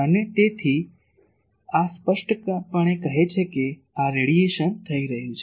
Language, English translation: Gujarati, And so, this clearly says that this radiation is taking place